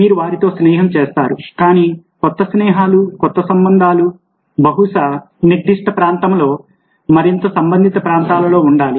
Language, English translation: Telugu, but new friendships, new relationships probably will have to be in that particular area and related areas